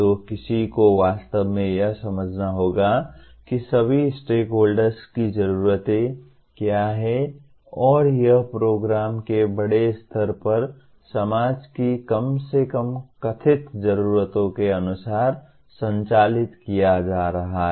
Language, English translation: Hindi, So one will have to really understand what are the needs of the all the stakeholders and whether the program is being conducted as per the at least perceived needs of the society at large